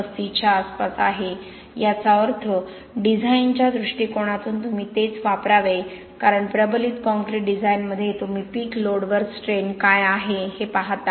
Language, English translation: Marathi, 35 which means from a design point of view that’s what you should use because in reinforced concrete design you look at what is the strain at peak load